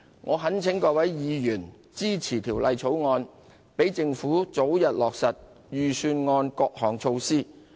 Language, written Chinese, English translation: Cantonese, 我懇請各位委員支持《條例草案》，讓政府早日落實預算案各項措施。, I implore Members to support the Bill so that the Government can implement the initiatives in the Budget as early as possible